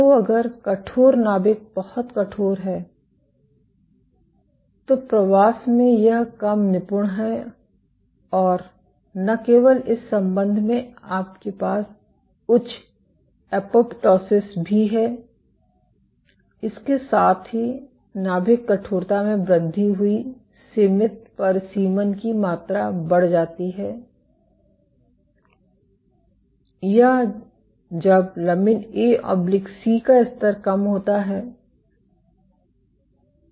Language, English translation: Hindi, So, if stiff if the nucleus is very stiff then this less efficient in migration and not just this connection you also have higher apoptosis, with that increased nuclear stiffness increased amount of confined confinement or and when lamin A/C levels are low sorry this is the other way around